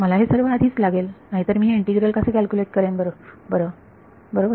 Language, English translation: Marathi, I need everything before otherwise how will I calculate this integral right